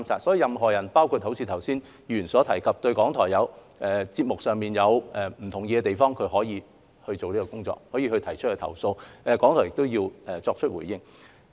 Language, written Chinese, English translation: Cantonese, 所以，任何人若如剛才議員所述對節目有不同意的地方，可以提出投訴，港台需要作出回應。, Therefore any person who disagrees with a programme in certain respects as Members said earlier can lodge a complaint . Then RTHK needs to provide a response